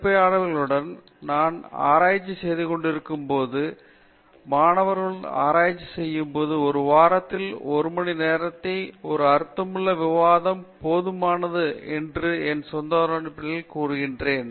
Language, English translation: Tamil, I would say based on my own experience in research with, when I was doing my own research with my supervisor or when I do research now with students, I think a meaningful discussion of an hour in a week is sufficient and required